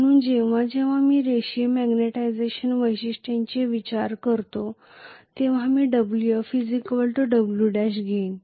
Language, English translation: Marathi, So whenever I consider a linear magnetization characteristics, I am going to have Wf equal to Wf dash